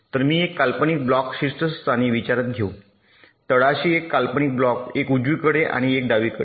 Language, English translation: Marathi, so i shall consider an imaginary block on the top, an imaginary block on the bottom, one on the right and one on the left